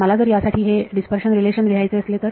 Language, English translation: Marathi, If I wanted to write this dispersion relation for